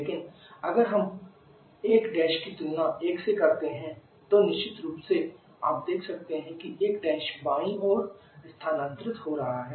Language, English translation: Hindi, But if we compare 1 Prime with 1 differently you can see one Prime is getting shifted towards left